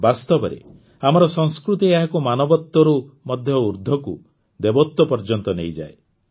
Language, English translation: Odia, In fact, our culture takes it above Humanity, to Divinity